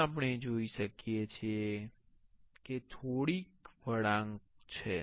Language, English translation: Gujarati, Here we can see there are is a little bit curvy